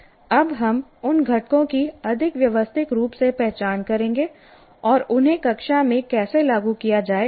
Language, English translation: Hindi, We will now more systematically kind of identify those components and how to implement in the classroom